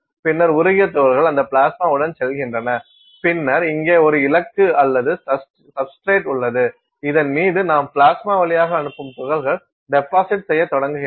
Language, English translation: Tamil, And, then one molten set of particles are going with that plasma and then you have the you have a target here or substrate, on this the particles that you are sending through the plasma begin to deposit